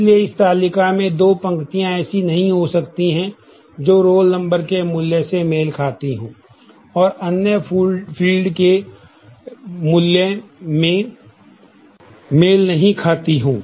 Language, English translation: Hindi, So, there cannot be two rows in this table, which match in the value of the roll number and does not match in the values of the other fields